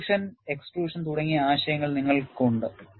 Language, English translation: Malayalam, You have concepts like intrusion and extrusion